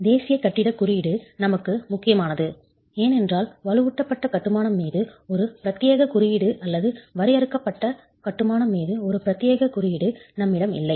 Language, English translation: Tamil, The National Building Code is important for us because we do not have a dedicated code on reinforced masonry, not a dedicated code on confined masonry